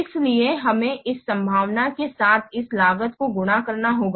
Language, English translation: Hindi, So, we have to multiply this cost along with this probability